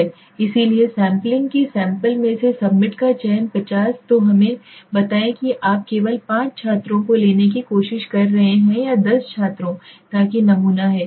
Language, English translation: Hindi, So sampling the selection of the subset so from the sample 50 let us say you are trying to take only five students or ten students so that is the sample